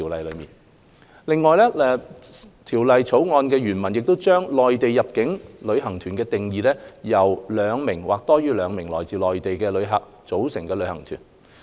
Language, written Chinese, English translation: Cantonese, 另外，《條例草案》原文將內地入境旅行團定義為由兩名或多於兩名來自內地的旅客組成的旅行團。, Besides according to the original text of the Bill Mainland inbound tour group is defined as a tour group consisting of two or more visitors from the Mainland